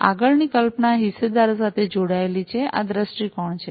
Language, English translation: Gujarati, The next concept is linked to the stakeholders; these are the viewpoints